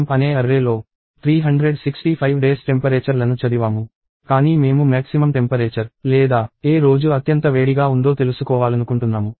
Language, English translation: Telugu, So, I have read 365 temperatures into an array called temp; but I want to find out the maximum temperature or which day was the hottest day